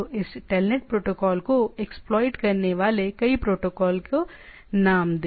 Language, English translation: Hindi, So, name several protocol exploits this TELNET protocol